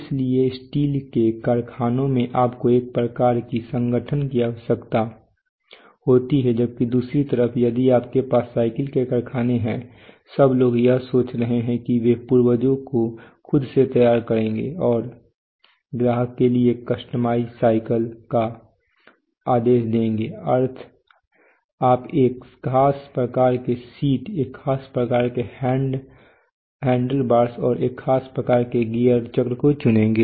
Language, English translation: Hindi, So for steel factories you need one kind of combination on the other hand you nowadays if you have a, if you have a bicycle factory there are people are thinking that people will book orders on the net, people will assemble their own parts on the, on the web and give an order for a customized cycle for that customer, so you will choose a particular type of seat a particular type of handlebar, a particular type of gear ratio wheel diameter tire type what not